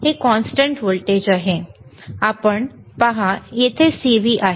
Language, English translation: Marathi, It is constant voltage, you see CV there is here